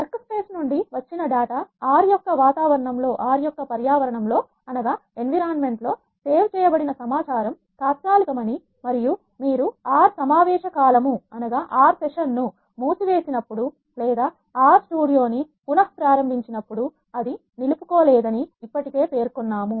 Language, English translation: Telugu, The data from the workspace in R I have already mentioned that the information that is saved in the environment of R is temporary and it is not retain when you close the R session or restart the R Studio it is sometimes needed to save the data which is already there in the current session